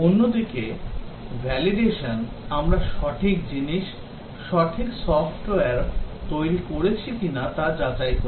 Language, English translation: Bengali, On the other hand validation is concerned about checking whether we have built the right thing, the right software